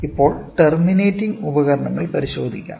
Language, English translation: Malayalam, So, now let us look into terminating devices